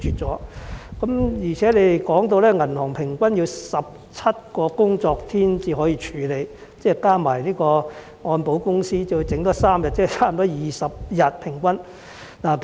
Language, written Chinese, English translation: Cantonese, 此外，局方提到銀行平均需要17個工作天處理申請，再加上按證保險公司需要3天處理，即平均需時20天。, Besides the Bureau mentioned that 17 working days were required to process an application on average and three more days are required by HKMCI which add up to an average processing time of 20 days